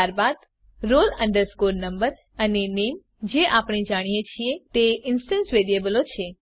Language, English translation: Gujarati, Then the only roll number and name we know are the instance variables